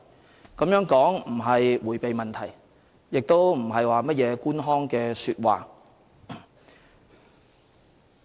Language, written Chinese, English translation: Cantonese, 這種說法並不是迴避問題，亦不是甚麼官腔說話。, I am not trying to evade problems by saying so and what I said is in no way bureaucratic jargon